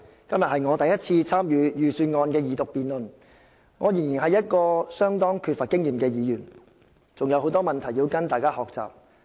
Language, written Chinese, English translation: Cantonese, 今天是我第一次參與財政預算案二讀辯論，我仍然是一位相當缺乏經驗的議員，還有很多事情要跟大家學習。, This is my first time to participate in the debate on the Second Reading of the Budget today . I am still a very inexperienced Member and there are a lot of things that I need to learn from other Members